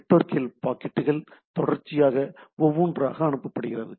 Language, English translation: Tamil, Packets are sent out from the network sequentially one at a time, right